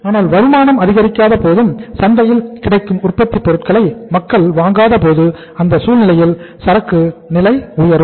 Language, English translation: Tamil, But when the income does not increase, when the people do not buy the manufactured goods in the in which are available in the market in that case inventory level goes up